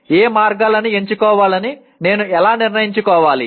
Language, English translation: Telugu, How do I decide which paths to go down